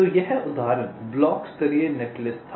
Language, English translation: Hindi, so this was the example block level netlist